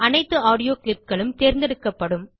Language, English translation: Tamil, All the audio clips will be selected